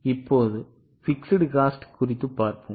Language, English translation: Tamil, Now let us see for fixed cost